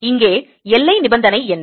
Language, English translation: Tamil, what is the boundary condition here